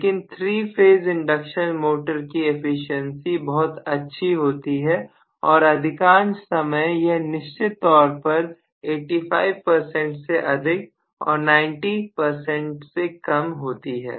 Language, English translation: Hindi, But 3 phase induction motor we have really a very good efficiency in most of the cases it goes definitely greater than 85 percent if not more than 95, 90 percent